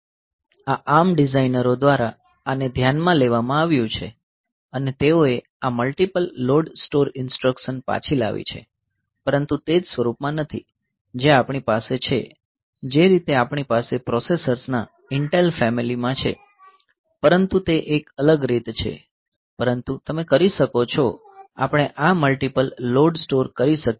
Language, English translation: Gujarati, So, this has been looked taken into consideration by this ARM designers and they have brought back this multiple load store instruction, but no not in the same form as we have in this as we are having in say Intel family of processors, but it is in a different way, but you can we can have this multiple load, store